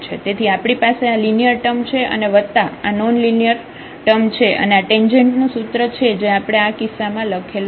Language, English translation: Gujarati, So, we have this linear term plus this non linear term and this is the equation of the tangent which we have written down in this case